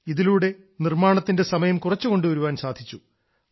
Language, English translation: Malayalam, This reduces the duration of construction